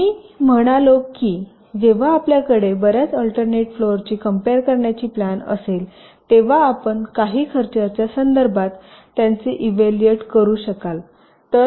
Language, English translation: Marathi, now i had said that when you have a number of alternate floor plans ah to compare, you should be able to just evaluate them with respect to some cost